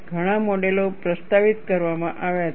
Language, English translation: Gujarati, Several models have been proposed